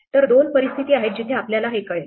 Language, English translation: Marathi, So, there are two situations where we will know this